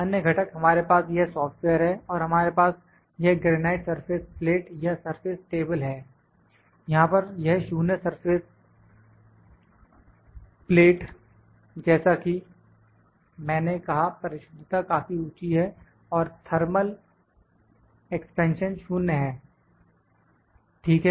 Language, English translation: Hindi, Other components we have this software and we have this granite surface plate or surface table here, this 0 grade surface plate as I said the accuracy is quite high and the thermal expansion is 0, ok